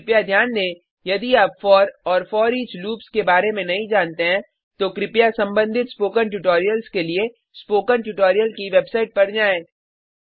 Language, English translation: Hindi, Please Note: If you are not aware of for and foreach loops, please go through the relevant spoken tutorials on spoken tutorial website